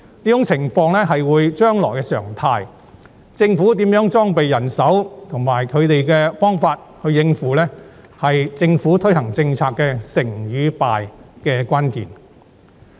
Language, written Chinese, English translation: Cantonese, 這種情況會是將來的常態，政府如何裝備人手和方法來應付，是推行政策的成敗關鍵。, This situation will be the norm in the future . The success or otherwise of policy implementation will largely depend on how the Government deploys its manpower and strategies to cope with it